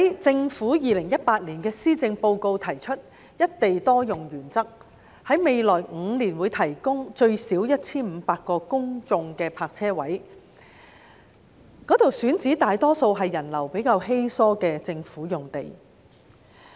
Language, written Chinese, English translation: Cantonese, 政府在2018年的施政報告中提出"一地多用"原則，在未來5年會提供至少 1,500 個公眾泊車位，選址大多數是人流比較稀疏的政府用地。, The Government put forward the principle of single site multiple uses in the Policy Address 2018 under which at least 1 500 public parking spaces would be provided in the next five years . Most of them would be situated in government sites with relatively low pedestrian flow